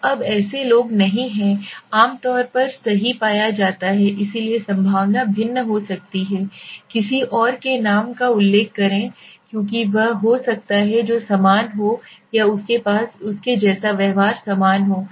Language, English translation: Hindi, So now such people are not generally found right, so if one is there then he can always give and probability may be vary to refer somebody else names, because he might who are similar or who are having similar behavior like him or her